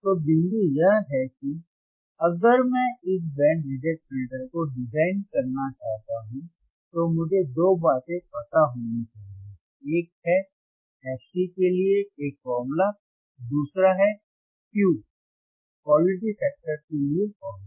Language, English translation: Hindi, So, point is that, if I want to design this band reject filter, I should know two things, one is a formula for fC, second is formula for Q